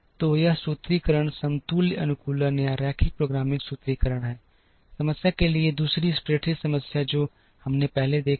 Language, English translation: Hindi, So, this formulation is the equivalent optimization or linear programming formulation, for the problem the second spreadsheet problem that we saw earlier